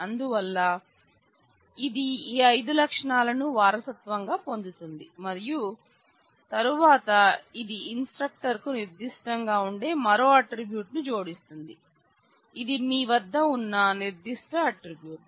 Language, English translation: Telugu, So, it will inherit all five of those attributes and then it adds another attribute which is specific for the instructor which says a rank which is another specific attribute that you have